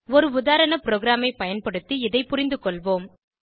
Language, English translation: Tamil, Let us understand this using a sample program